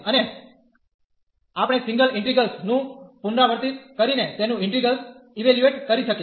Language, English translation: Gujarati, And we can evaluate the integrals by this repeated a single integrals